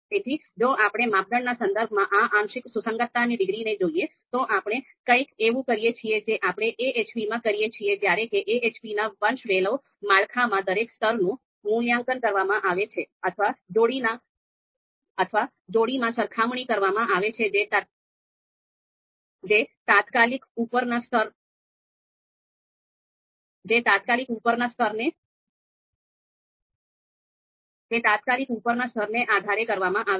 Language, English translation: Gujarati, So if we if you look at this partial concordance degree, this is with respect to a criterion, something similar to you know what we do in AHP when we say that each level in the hierarchical structure of AHP is actually you know evaluated, the pairwise pairwise comparisons are performed with respect to the immediate upper level right